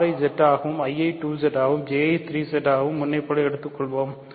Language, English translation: Tamil, So, let us take R to be Z, I to be 2Z, J to be 3Z as before